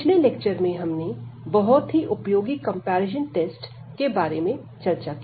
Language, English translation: Hindi, So, in the previous lecture we have seen very useful comparison test